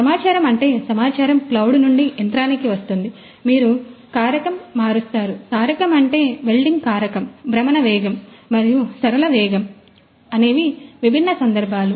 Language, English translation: Telugu, So, data is that information is information comes from the cloud to the machine, you change the parameter; parameter means the welding parameter, the rotational speed and also the linear speed so that the different case …